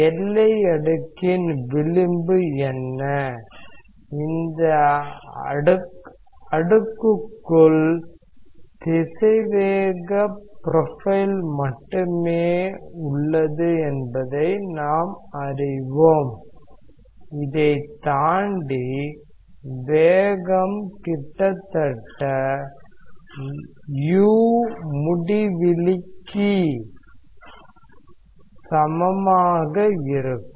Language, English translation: Tamil, What is the edge of the boundary layer, we know that within this layer only the velocity profile is there; beyond this the velocity is uniform equal to u infinity almost